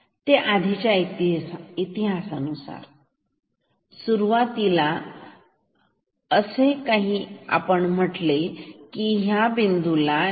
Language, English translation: Marathi, It depends on the previous history it depends on what happened previously